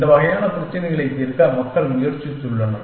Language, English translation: Tamil, People have try to solve these kind of problems